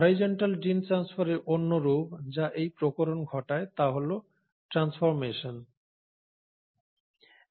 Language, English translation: Bengali, The other form of horizontal gene transfer, which accounts for this variation, is the process of transformation